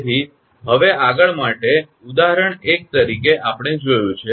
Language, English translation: Gujarati, So, for the next is for, example 1 we have seen